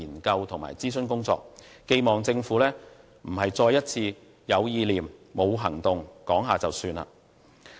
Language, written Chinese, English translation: Cantonese, 我希望政府並不是再一次有意念、沒有行動，說說便算。, I hope that the Government will not once again provide an idea with taking real action or just pay lip service